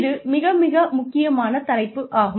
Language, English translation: Tamil, So, very, very, important topic